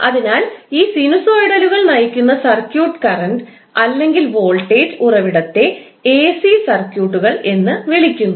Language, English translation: Malayalam, So, the circuit driven by these sinusoidal current or the voltage source are called AC circuits